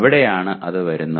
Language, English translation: Malayalam, That is where it comes